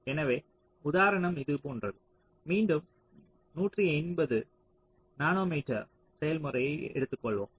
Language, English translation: Tamil, lets say so we again take a one eighty nanometer process